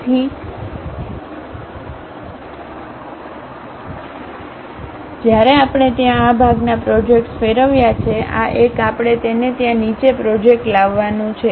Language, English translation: Gujarati, So, when we are having revolve, this part projects there; this one we have to really bring it down project there